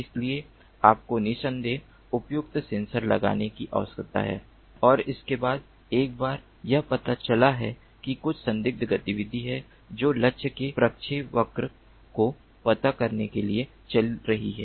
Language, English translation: Hindi, so you need to have appropriate sensors, of course and thereafter, once it is detected that there is some suspicious activity that is going on, then to track the trajectory of the target